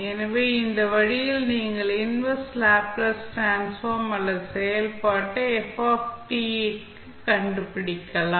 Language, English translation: Tamil, So, with this way, you can find out the inverse Laplace transform or function ft